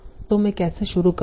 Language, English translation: Hindi, How will I go about it